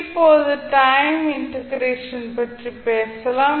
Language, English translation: Tamil, Now let’ us talk about the time integration